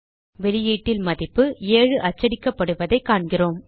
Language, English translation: Tamil, We see in the output, the value 7 is printed